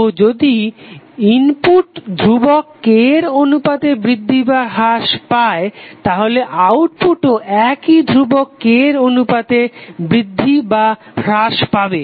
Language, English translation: Bengali, So if input is increased or decreased by constant K then output will also be increase or decrease by the same constant K